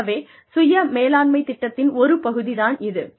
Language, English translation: Tamil, So, this is, one part of the self management program